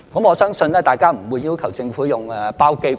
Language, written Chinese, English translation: Cantonese, 我相信大家不會要求政府用包機吧？, I dont think Members would ask the Government to charter a plane right?